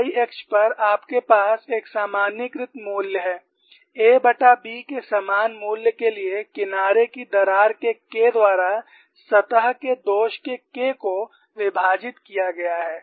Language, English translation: Hindi, On the x axis, you have 2 c by b; on the y axis, you have a normalized the value K of surface flaw is divided by K of edge crack or the same value of a by b